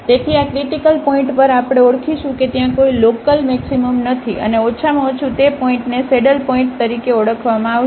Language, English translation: Gujarati, So, at these critical points we will identify if there is no local maximum and minimum that point will be called as the saddle point